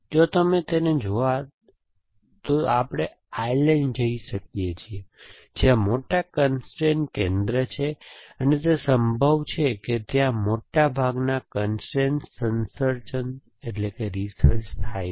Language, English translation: Gujarati, If you want to meet him, we can go to of Ireland, where there is the big constrain center and it probable the place which the largest population of the constrain researches essentially